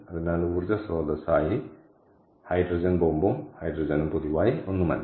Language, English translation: Malayalam, so hydrogen bomb and hydrogen as energy source is nothing in common